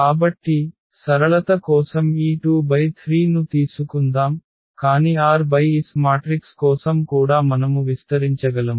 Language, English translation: Telugu, So, for simplicity let us take this 2 by 3, but the idea we can extend for r by s matrices as well